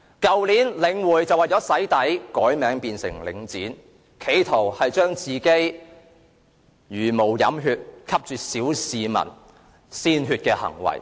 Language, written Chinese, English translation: Cantonese, 去年，領匯為了"洗底"改名為領展，企圖一一粉飾其茹毛飲血、吸啜小市民鮮血的行為。, Last year The Link REIT was renamed as Link REIT attempting to whitewash its barbaric and blood - sucking acts against the general public . Take Yat Tung Market in Tung Chung Estate as an example